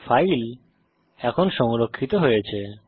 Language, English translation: Bengali, So the file is now saved